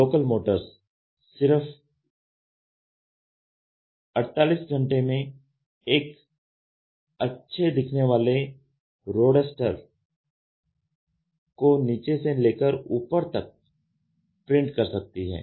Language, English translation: Hindi, Local motors can print a good looking roadster from bottom to top in 48 hours